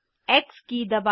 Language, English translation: Hindi, press the key X